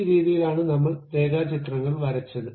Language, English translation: Malayalam, This is the way we have constructed line diagrams